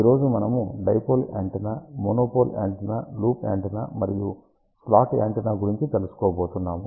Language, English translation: Telugu, Today, we are going to talk about dipole antenna, monopole antenna, loop antenna and slot antenna